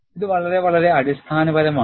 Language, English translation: Malayalam, And this is very very fundamental